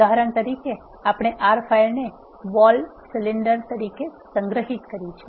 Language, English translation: Gujarati, For example, we have saved the R file as vol cylinder